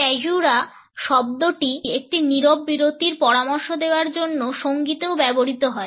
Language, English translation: Bengali, The word caesura is also used in music to suggest a silent pause